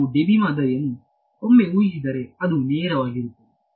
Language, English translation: Kannada, We have, once we assume the Debye model, it is just straight